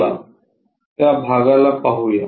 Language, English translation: Marathi, So, let us observe those portions